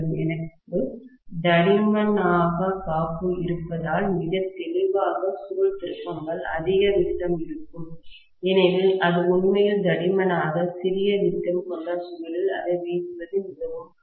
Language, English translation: Tamil, And because I require thicker insulation, very clearly that coil turns will probably be of higher diameter, because it will be really really thick, it will be very difficult to wind it into a smaller diameter coil